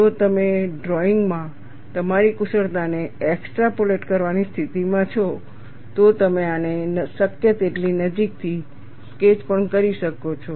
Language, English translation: Gujarati, If you are in a position to extrapolate your skills in drawing, you could also sketch this as closely as possible